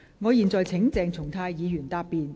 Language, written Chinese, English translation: Cantonese, 我現在請鄭松泰議員答辯。, I now call upon Dr CHENG Chung - tai to reply